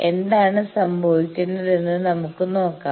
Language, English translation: Malayalam, That is why let us see what happens